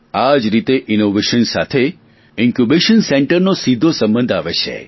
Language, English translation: Gujarati, Similarly, innovations are directly connected to Incubation Centres